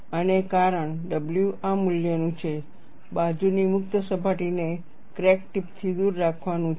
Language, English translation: Gujarati, And the reason, for w to be of this value, is to keep the lateral free surface away from the crack tip